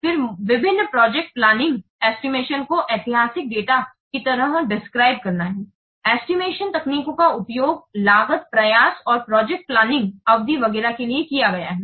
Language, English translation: Hindi, Then the various project estimates they have to be mentioned like the historical data, the estimation techniques used to the estimation for cost, effort and project duration etc